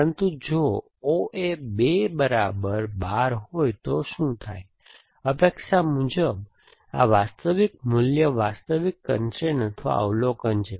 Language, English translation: Gujarati, But, what happens if O A 2 is equal to 12, as expected this is the real value real constrain or observation some people would call it